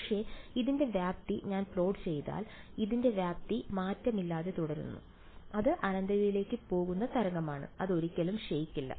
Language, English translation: Malayalam, But, if I plot the magnitude of this the amplitude of this is unchanged it is the wave that goes off to infinity it never decays